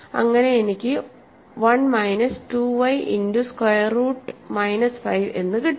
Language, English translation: Malayalam, So, I am pooling together the like terms 2 x minus 1 so, 1 comes here 2 y square root minus 5 goes there